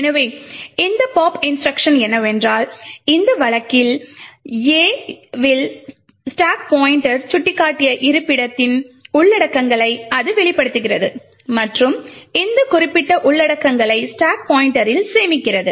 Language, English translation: Tamil, So, what this pop instruction does is that it pops the contents of the location pointed to by the stack pointer in this case A and stores these particular contents in the stack pointer